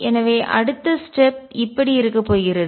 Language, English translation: Tamil, So, next step is going to be